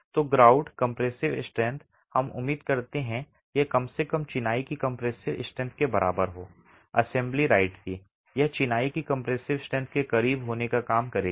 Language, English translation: Hindi, So the grout compressive strength, we expect it to be at least equal to the compressive strength of the masonry of the assembly